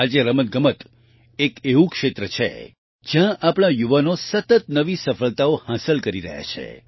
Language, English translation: Gujarati, Today, sports is one area where our youth are continuously achieving new successes